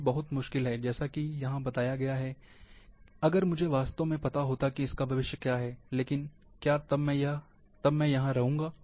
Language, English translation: Hindi, It is very difficult, as mentioned here, if I, really knew what is the future; would I still be here